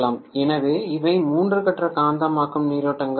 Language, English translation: Tamil, So these are the three phase magnetizing currents that are being drawn